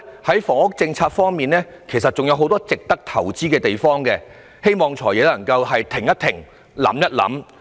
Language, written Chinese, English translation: Cantonese, 在房屋政策方面，其實仍然有很多值得投資的地方，我希望"財爺"可以停一停，想一想。, As regards housing policy there are still many areas worthy of investment thus I hope the Financial Secretary can pause and think